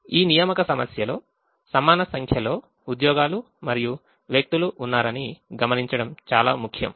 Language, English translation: Telugu, it's very important to note that in the assignment problem we have an equal number of jobs and people